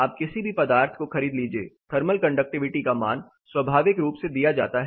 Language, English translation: Hindi, This tests are commonly done you buy any material thermal conductivity values are spontaneously given